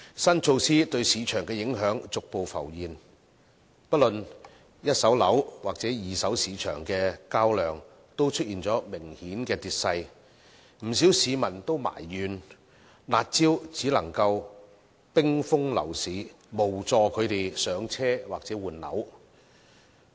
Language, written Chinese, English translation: Cantonese, 新措施對市場的影響逐步浮現，不論一手樓或二手市場的交投量均出現明顯的跌勢，不少市民埋怨，"辣招"只能冰封樓市，無助他們"上車"或換樓。, The implications of the new measure on the market have gradually emerged as there have been obvious drops in the transaction volumes of both first - hand and second - hand properties . Many people have complained that the curb measures only freeze the property market while does nothing to help people purchase their first flat or change flats